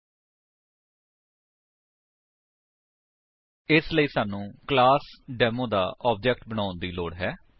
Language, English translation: Punjabi, 00:09:28 00:09:21 For that we need to create the object of the class Demo